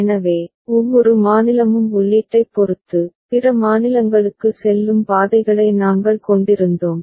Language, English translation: Tamil, So, far every state depending on the input, we were having paths leading to other states ok